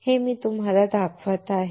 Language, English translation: Marathi, I have shown it to you